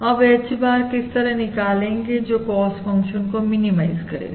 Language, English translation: Hindi, Now how do you find the H bar, which minimises the cost function